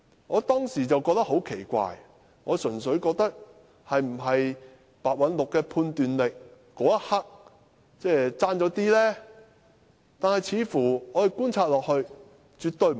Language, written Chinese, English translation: Cantonese, 我當時覺得很奇怪，心想是否白韞六的判斷力剛巧在那一刻稍差一點呢？, I was puzzled at the time and I wondered if it was because Simon PEH happened to be slightly lapsed in his judgment at that moment